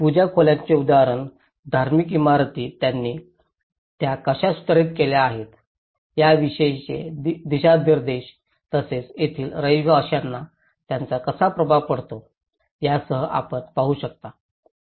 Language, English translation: Marathi, You can see the example of the puja rooms, the religious buildings how they have modified those, including the location of the orientation and how it has an impact on the inhabitants